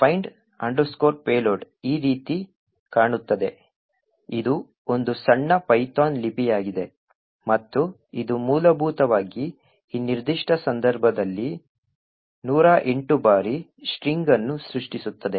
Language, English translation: Kannada, So, find payload looks like this, it is a small python script and it essentially creates a string S in this particular case a hundred and eight times